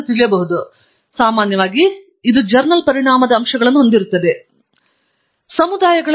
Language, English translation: Kannada, Then, normally, it will have journal impact factors, a little bit on the higher side